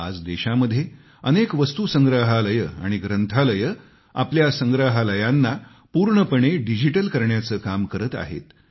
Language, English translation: Marathi, Today, lots of museums and libraries in the country are working to make their collection fully digital